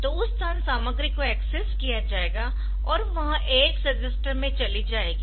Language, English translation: Hindi, So, that locations content will come to the AX register